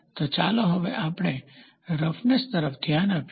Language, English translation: Gujarati, So, now, let us look into roughness